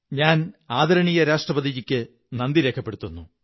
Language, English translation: Malayalam, I am grateful to our Honourable President